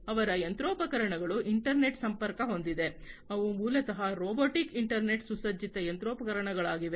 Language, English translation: Kannada, And their machinery are internet connected, they are basically robotic internet equipped machinery